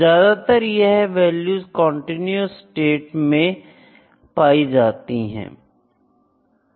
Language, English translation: Hindi, Most of these values would fall in a continuous state